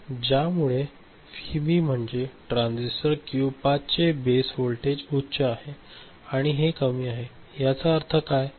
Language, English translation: Marathi, Because of which this Vb, this particular base voltage of transistor Q 5 ok, this is high and this is low, what does it mean